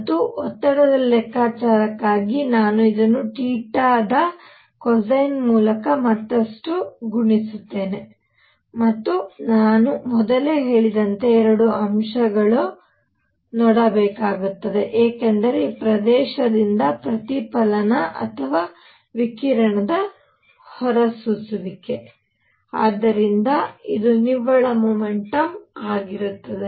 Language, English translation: Kannada, And for pressure calculation, I will further multiply this by cosine of theta and as I said earlier a factor of two because either the reflection or radiation emission from this area; so this would be the net momentum